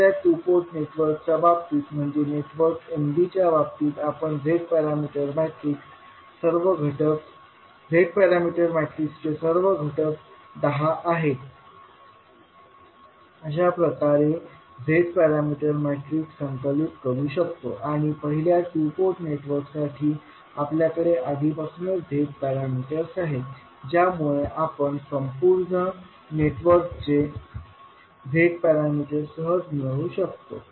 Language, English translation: Marathi, So in case of second two port network let us say it is Nb, we can compile the Z parameter matrix as having all the elements as equal to 10 and for the first two port network we already have the Z parameters in hand so we can simply get the Z parameter of the overall network